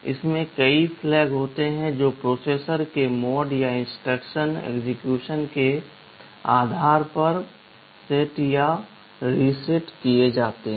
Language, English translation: Hindi, It consists of several flags that are set depending on the mode of the processor or the instruction execution